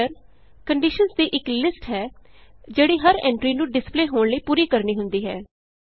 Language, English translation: Punjabi, A filter is a list of conditions that each entry has to meet in order to be displayed